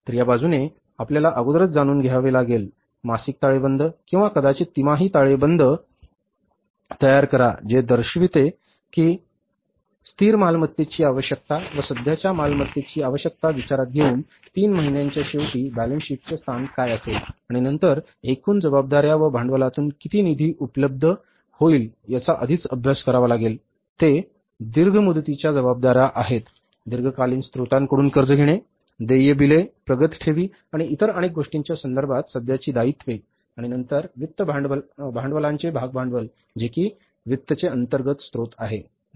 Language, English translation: Marathi, So this side we have to know in advance, prepare the monthly balance sheet or maybe the quarterly balance sheet showing it that what will be the balance sheet position at the end of three months, taking into consideration the requirement of fixed assets, requirement of current assets and then working out in advance how much funds will be available from the total liabilities plus capital that is liability is long term liabilities borrowing from the long term sources, current liabilities in terms of the bills available, advance deposits and so many other things and then the share capital which is the internal source of finance